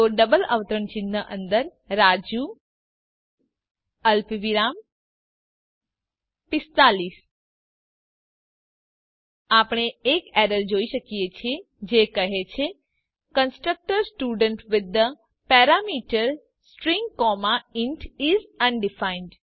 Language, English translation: Gujarati, So in double quotes Raju comma 45 We see an error which states that the constructor student with the parameter String comma int is undefined